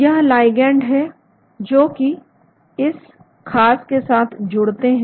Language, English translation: Hindi, these are the ligands that are bound to this particular